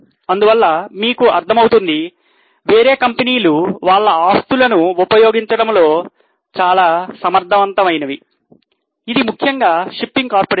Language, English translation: Telugu, So, you can understand that other companies are more efficient in utilizing their asset, which is mainly the ship